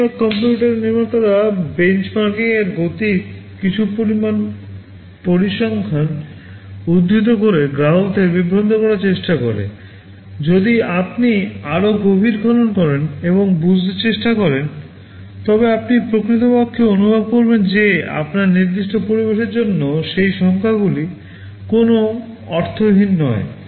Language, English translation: Bengali, Most of the computer manufacturers try to mislead the customers by quoting some figures with respect to benchmarking and speeds, which if you dig deeper and try to understand, you will actually feel that for your particular environment those numbers make no sense